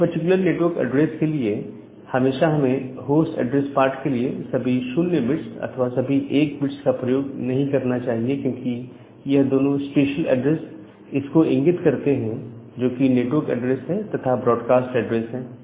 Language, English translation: Hindi, So, every time for a particular network address, we should not use all 0’s at the host address part or all 1’s at the host address part, because these two denotes the special addresses of the network address and the broadcast address